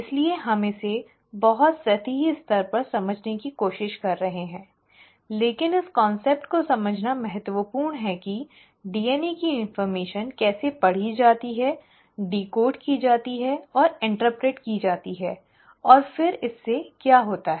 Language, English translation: Hindi, So we are trying to understand it at a very superficial level but it is important to understand the concept as to how the DNA information is read, decoded and interpreted and then what does it lead to